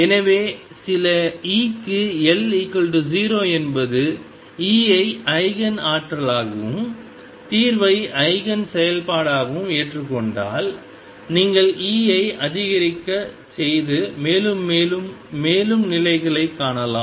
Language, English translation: Tamil, So, if psi L is equal to 0 for some E accept that E as the Eigen energy and the solution psi as Eigen function and then you can keep increasing E and find more and more and more states